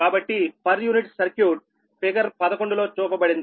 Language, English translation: Telugu, so per unit circuit is shown in figure eleven